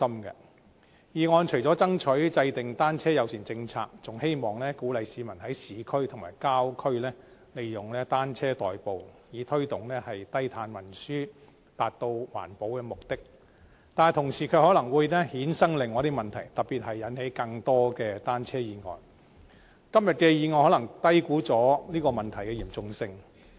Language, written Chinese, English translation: Cantonese, 議案除了爭取制訂單車友善政策外，還希望鼓勵市民在市區和郊區利用單車代步，以推動低碳運輸，達到環保的目的，但同時可能會衍生出另一些問題，特別是引起更多單車意外，今天的議案可能低估了有關問題的嚴重性。, Apart from striving for the formulation of a bicycle - friendly policy the motion also expresses the hope of encouraging people to use bicycles as an alternative mode of transport in urban and rural districts so as to promote low - carbon transport and achieve environmental protection purposes . But at the same time some other problems may arise especially the occurrence of more bicycle accidents . The motion today may have underestimated the seriousness of this problem